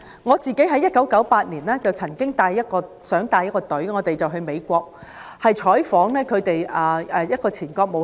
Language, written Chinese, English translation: Cantonese, 我在1998年曾想帶領一個團隊到美國，就亞洲金融風暴採訪一位前國務卿。, In 1998 I intended to bring a team comprising two scholars and two cameramen to the United States to interview a former Secretary of State about the Asian financial turmoil